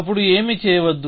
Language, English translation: Telugu, So, we do not do anything